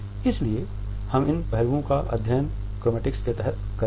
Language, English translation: Hindi, So, these aspects we would study under chromatics